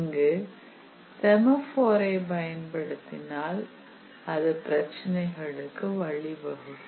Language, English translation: Tamil, Here using a semaphore will lead to some problems